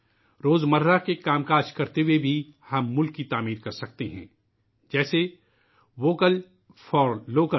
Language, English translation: Urdu, We can contribute to nation building even while performing our routine chores…such as 'Vocal for Local'